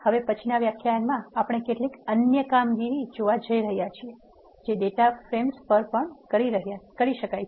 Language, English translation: Gujarati, In the next lecture we are going to see some other operations that can be done on data frames